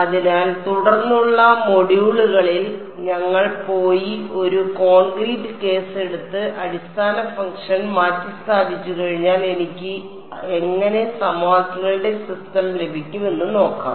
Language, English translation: Malayalam, So, in subsequent modules we will go and take a concrete case and see how do I get the system of equations once I substitute the basis function